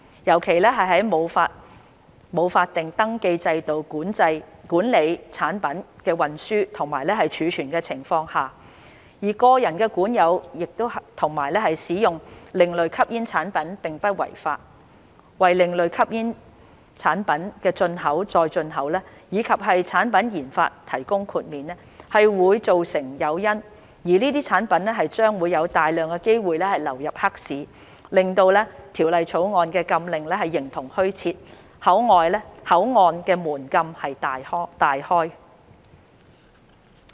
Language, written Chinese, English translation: Cantonese, 尤其在沒有法定登記制度管理產品的運輸及儲存的情況下，而個人管有及使用另類吸煙產品並不違法，為另類吸煙產品的進口再出口以及產品研發提供豁免，會造成誘因，這些產品將有大量機會流入黑市，令《條例草案》的禁令形同虛設，口岸的門禁大開。, In particular in the absence of a statutory registration system to regulate the transportation and storage of products and where possession and use of ASPs by individuals is not illegal providing exemptions for the import and re - export of ASPs and product development would create incentives and opportunities for these products to enter the black market rendering the prohibition in the Bill virtually null and void and throwing the gates of the ports wide open